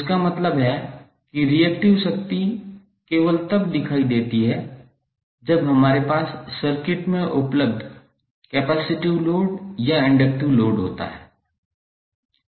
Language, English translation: Hindi, So it means that the reactive power is only visible when we have either capacitive or inductive load available in the circuit